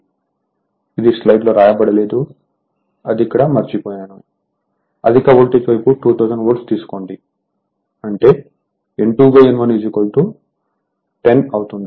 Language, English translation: Telugu, So, it is not written here, I have missed it here so, high voltage side you take 2000 volt; that means, you are; that means, you are N 2 by N 1 is equal to it will be 10 right